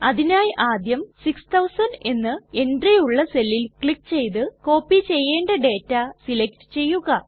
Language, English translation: Malayalam, Then first select all the data which needs to be copied by clicking on the cell which contains the entry, 6000